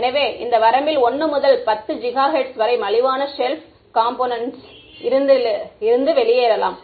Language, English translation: Tamil, So, in this range 1 to 10 gigahertz you can get off the shelf components that are inexpensive right